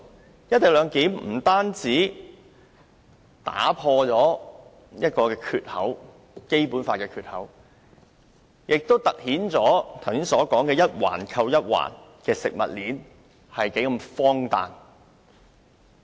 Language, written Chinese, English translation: Cantonese, 實施"一地兩檢"不單將《基本法》打破一個缺口，亦凸顯剛才所說的一環扣一環的食物鏈，是多麼荒誕。, The implementation of the co - location arrangement will not only open the floodgate of the Basic Law but also highlight how ridiculous the just mentioned interlocking food chain is